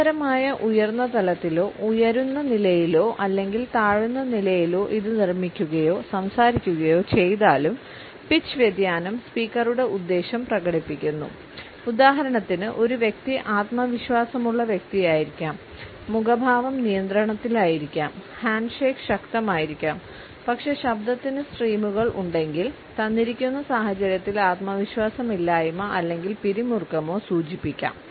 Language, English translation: Malayalam, Whether it is produced or a spoken at a continuous high level, a rising level or at a falling level, pitch variation expresses the intention of the speaker, for example, a person may come across otherwise as a confident person, the facial expressions maybe control the handshake may be strong, but if the voice has streamers then the lack of confidence or tension in the given situation becomes apparent